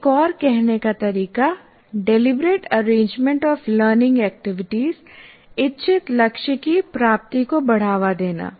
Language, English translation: Hindi, Or another way of stating, it is the deliberate arrangement of learning activities and conditions to promote the attainment of some intended goal